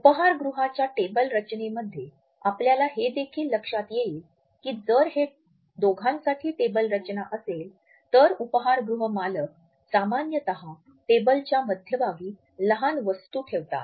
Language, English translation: Marathi, In the table setting of restaurants also you might be also noticed that if it is a table setting for the two, the restaurant owners normally put a small objects in the centre of the table